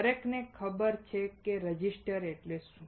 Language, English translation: Gujarati, Everyone knows what a resistor is